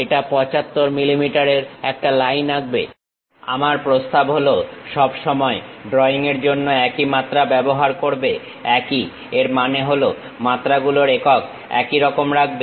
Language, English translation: Bengali, It draws a line with 75 mm my suggestion is all the time for the drawing use same dimension; same in the sense same units of dimensions